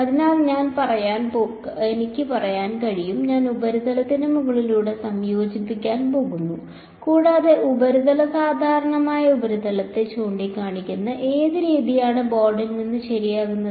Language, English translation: Malayalam, So, I can say, I am going to integrate over the surface and what way is the surface normal pointing the surface normal is coming out of the board ok